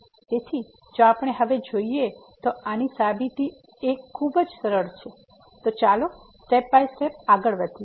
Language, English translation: Gujarati, So, if we go through; now the proof which is pretty simple so, let us go step by step